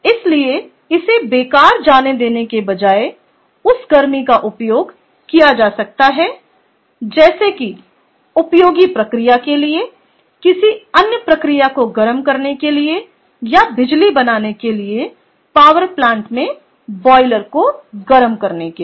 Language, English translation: Hindi, so, instead of letting it go to waste, can be utilized that heat for some useful purpose, like you know, for addit, for heating of another process or another stream, or well as as for heating the boiler in a power plant, to generate electricity and so on